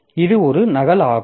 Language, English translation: Tamil, So, this is a copy